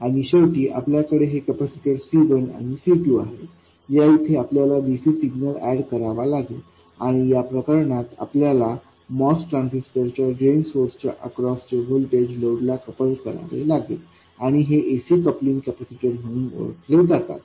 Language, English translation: Marathi, In this case we have to add a DC value to the signal and in this case we have to couple the voltage across the drain source of the MOS transistor to the load and these are known as AC coupling capacitors